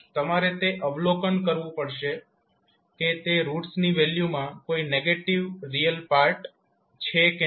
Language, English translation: Gujarati, You have to observe whether the value of those roots are having any negative real part or not